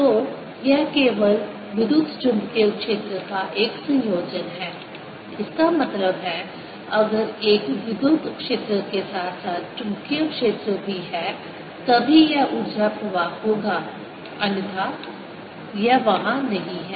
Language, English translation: Hindi, that means if there's an electric field as well as a magnetic field, then only this energy flows, otherwise it's not there